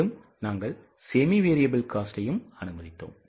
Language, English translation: Tamil, It becomes a semi variable cost